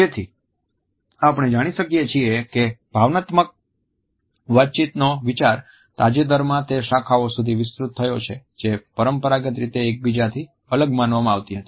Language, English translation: Gujarati, So, we find that the idea of emotion communication has recently expended to those disciplines which were traditionally considered to be distinct from each other